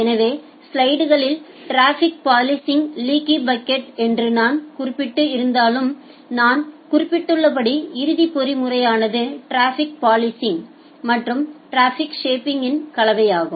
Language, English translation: Tamil, So, although in the slides I have mentioned that leaky bucket for traffic policing, but as I have mentioned the ultimate mechanism is a combination of traffic policing and traffic shaping